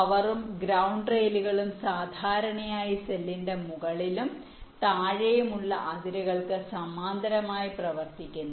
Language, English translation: Malayalam, the power and ground rails typically run parallel to upper and lower boundaries of the cells